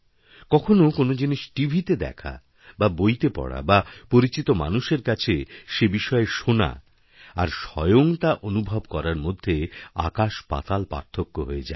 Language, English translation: Bengali, There is huge difference between to sometime to see something on television or reading about it in the book or listening about it from acquaintances and to experiencing the same thing yourself